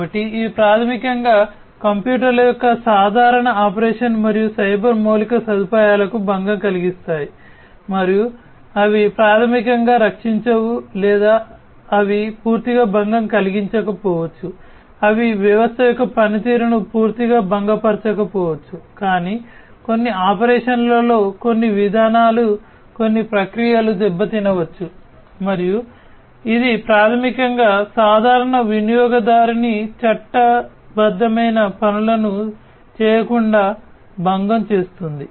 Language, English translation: Telugu, So, these are the ones that basically they disrupt the normal operation of the computers and the cyber infrastructure, and they will they may or they may not basically protect or they may not disturb completely, they may not disrupt the functioning of the system completely but at certain operations, certain procedures, certain processes might be disrupted and that will basically disturb the regular user from performing their legitimate tasks